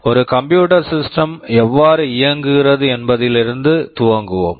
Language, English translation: Tamil, Let us start with how a computer system works basically